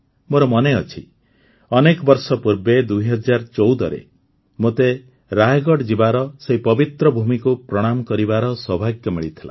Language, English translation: Odia, I remember, many years ago in 2014, I had the good fortune to go to Raigad and pay obeisance to that holy land